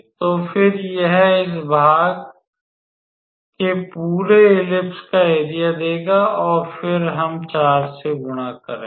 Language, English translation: Hindi, So, then it will give the area of the whole ellipse of this section and then we will multiply by 4